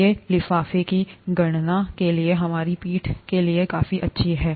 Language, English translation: Hindi, These are good enough for our back of the envelope calculations